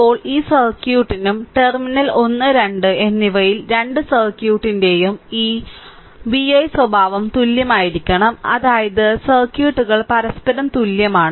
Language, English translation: Malayalam, Now, for this circuit also because at terminal one and two, this vi characteristic of both the circuit has to be same it is I mean the circuits are equivalent to each other